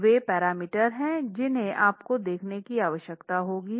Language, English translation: Hindi, So those are the parameters that you will require to begin with